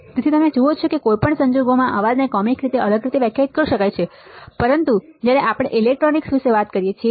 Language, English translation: Gujarati, So, you see and noise in any case can be defined in a in a different way in a in a comic way as well, but when we talk about electronics